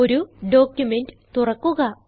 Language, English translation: Malayalam, Lets open a document